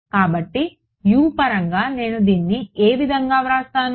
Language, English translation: Telugu, So, in terms of U what will I write this as